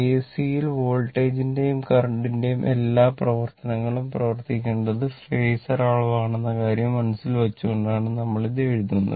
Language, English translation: Malayalam, So, in AC, right work all operation of voltage and current should be done keeping in mind that those are phasor quantities